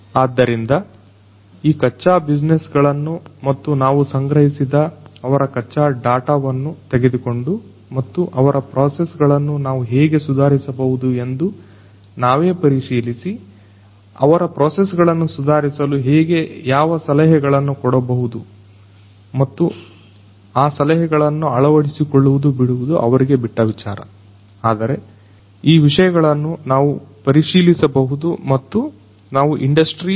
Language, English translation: Kannada, So, we will take up these raw businesses, their raw data that we have collected and we will analyze ourselves that how we can improve their processes, how we can what we can suggest to improve their processes and then those suggestions can be adopted by them or not that is up to them, but we can analyze these things and we can give a prescription for them about what they they could do in terms of that option of industry 4